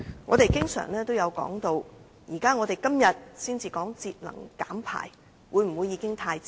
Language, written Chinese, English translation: Cantonese, 我們常說，今天才討論節能減排是否已經太遲。, We often ask whether it is too late to talk about energy conservation and emission reduction today